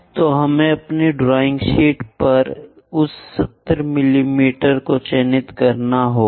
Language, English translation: Hindi, So, we have to mark that 70 mm on our drawing sheet